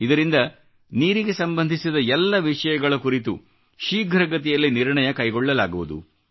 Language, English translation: Kannada, This will allow faster decisionmaking on all subjects related to water